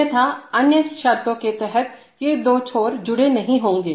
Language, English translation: Hindi, Otherwise under other conditions, these two ends will not be connected